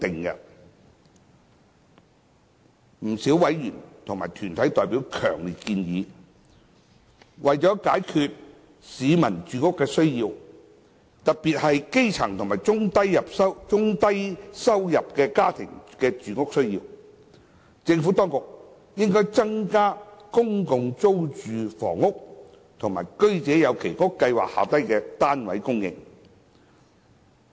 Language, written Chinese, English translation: Cantonese, 不少委員和團體代表強烈建議，為解決市民的住屋需要，特別是基層及中低收入家庭的住屋需要，政府當局應增加公共租住房屋及居者有其屋計劃下的單位供應。, Quite a number of members and deputations have strongly suggested that to address the housing needs of members of the public particularly the needs of grass roots and the low - to - middle income families the Administration should enhance the supply of public rental housing PRH units and subsidized sale units under the Home Ownership Scheme HOS